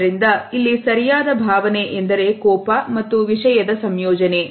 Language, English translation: Kannada, So, here the right solution is a combination of anger and content